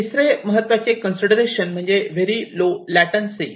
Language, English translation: Marathi, The third one is that there has to be very low latency